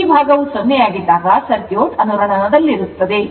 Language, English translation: Kannada, When this part will be 0, the circuit will be in resonance right